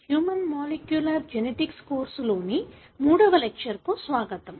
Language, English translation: Telugu, Welcome back to the third lecture of this course Human Molecular Genetics